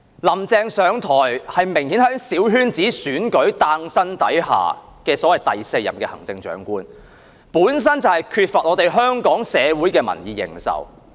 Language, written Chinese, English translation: Cantonese, "林鄭"上台，明顯是在小圈子選舉下誕生的所謂"第四任行政長官"，本身就缺乏香港社會的民意認受。, Obviously Carrie LAM took office as the fourth Chief Executive thanks to the small - circle election so she lacks a popular mandate in Hong Kong society